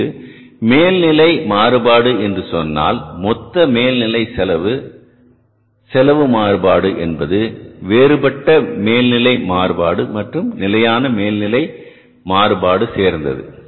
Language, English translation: Tamil, So the dissection of this total overhead cost variance is into variable overhead variance and the fixed overhead variance